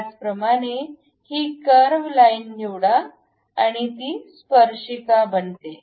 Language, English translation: Marathi, Similarly, pick this curve line make it tangent